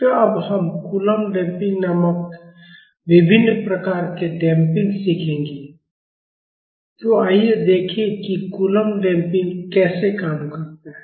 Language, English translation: Hindi, So, now, we will learn the different type of damping called Coulomb Damping, so let us see how coulomb damping works